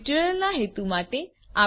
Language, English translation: Gujarati, For the purpose of this tutorial